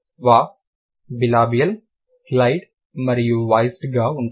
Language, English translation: Telugu, Void would be bilibial, glide and voiced